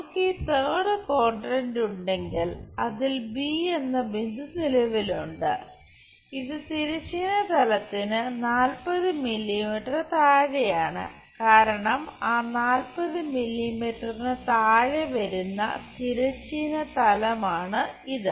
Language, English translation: Malayalam, If we are having this third quadrant also somewhere the point B is present, which is 40 mm below the horizontal plane, because this is the horizontal plane below that 40 mm